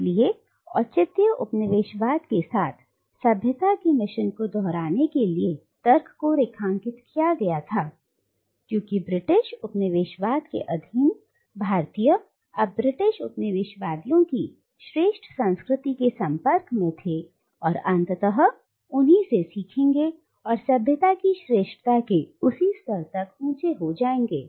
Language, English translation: Hindi, So, to repeat civilising mission with justified colonialism was underlined by the logic that because the subjugated Indians are now exposed to the superior culture of the British colonisers they would ultimately learn from the British colonisers and would be elevated to that same level of civilizational superiority